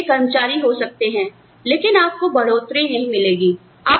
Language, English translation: Hindi, You can be a great employee, but you do not get a raise